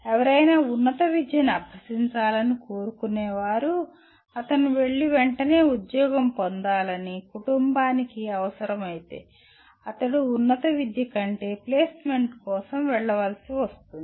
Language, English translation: Telugu, If somebody wants to go for a higher education but the family requires that he has to go and immediately seek a job, then he is forced to go for placement rather than higher education